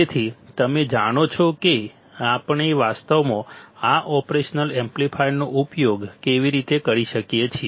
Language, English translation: Gujarati, So, you know how we can actually use this operational amplifier ok